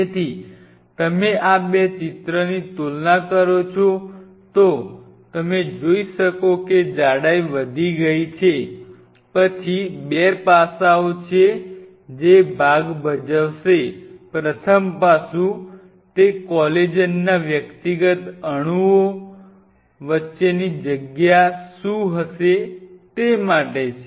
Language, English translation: Gujarati, What will you observe is the thickness has gone up, the thickness has gone up then there are 2 aspects which will come into play; the first aspect which will be coming to play is what will be the space between these individual molecules of collagen